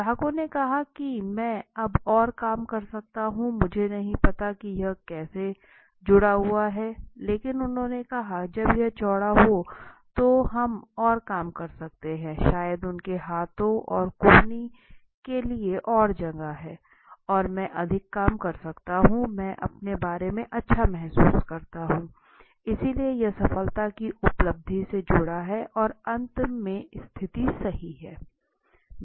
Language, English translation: Hindi, Body aircrafts so the respondents the customer said I can get more work done now I do not know how it is connected but they said when it is wider we can do more work maybe there is an elbow space to move their arms and hands, I can accomplish more so I can get more work done I can accomplish more I feel good about myself, so if you see ultimately this is getting connected with success accomplishment and finally the status right